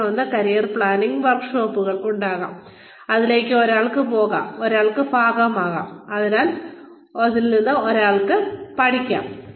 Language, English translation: Malayalam, Then one, there could be career planning workshops, that one could go in for, and that one could be a part of, and that one could learn from